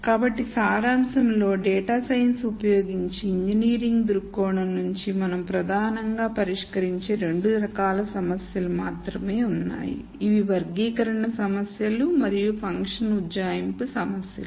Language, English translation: Telugu, So, in summary there are really only two types of problems that we predominantly solve from an engineering viewpoint using data sciences, these are classi cation problems and function approximation problems